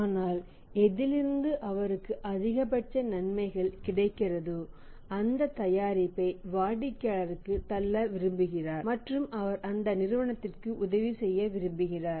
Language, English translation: Tamil, But where he is having the maximum benefit you would like to put that product to the customer and he would like to help the company that you buy this company's product